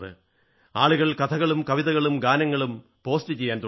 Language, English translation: Malayalam, So, people started posting stories, poems and songs